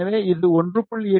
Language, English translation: Tamil, So, this was designed for 1